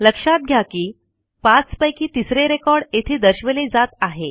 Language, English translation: Marathi, Notice that the record number 3 of 5 is displayed here